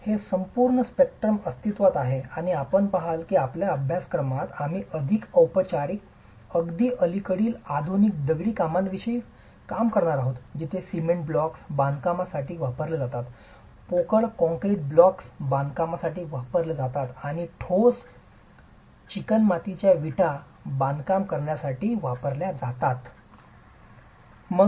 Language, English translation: Marathi, So, this entire spectrum exists and you will see that in our course we are going to be dealing with the more formal, the more recent modern masonry constructions where either cement blocks are used for construction, hollow concrete blocks are used for construction or solid fire clay bricks are used for construction